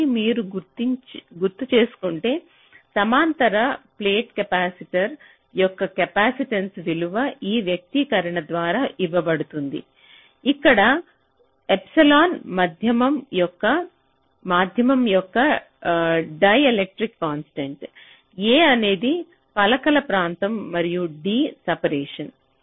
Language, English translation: Telugu, so the capacitance value of a parallel plate capacitor, if you recall, is given by this expression, where epsilon is a ah dielectric constant of the medium, a is the area of the plates and d is the separation